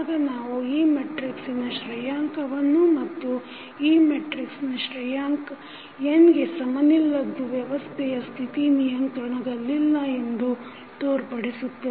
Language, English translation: Kannada, Then we find out the rank of this matrix and if the rank of this matrix is not equal to n that shows that the System State are not controllable